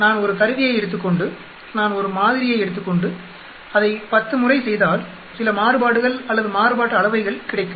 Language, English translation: Tamil, Suppose I take an instrument and I take a sample and then I do it 10 times I will get some variations or variance